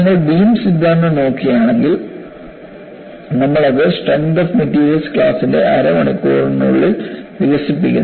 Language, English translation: Malayalam, You know, if you look at beam theory, we develop it in about half an hour in a class of strength of materials